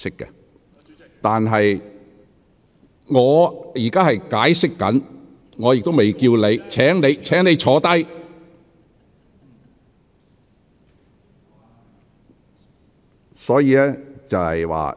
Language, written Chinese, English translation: Cantonese, 林卓廷議員，我正在解釋規程，亦未叫喚你發言，請你坐下。, Mr LAM Cheuk - ting I am explaining the procedure and have not yet called upon you to speak . Please sit down